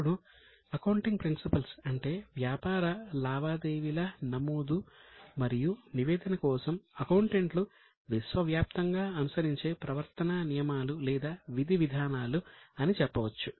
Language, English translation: Telugu, Now, accounting principle means those rules of conduct or procedures which are adopted by accountants universally for both recording as well as for disseminating